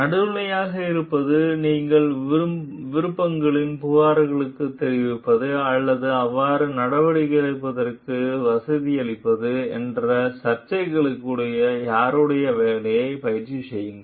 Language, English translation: Tamil, So, whose job is to remain neutral and to the controversies that you inform the complaints of the options or facilitate the action so, exercise